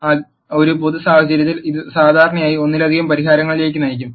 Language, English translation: Malayalam, So, in a general case this will usually lead to multiple solutions